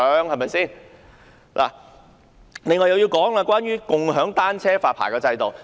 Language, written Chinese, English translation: Cantonese, 我接着要說的是共享單車的發牌制度。, Next I would like to talk about establishing a registration system of bike sharing service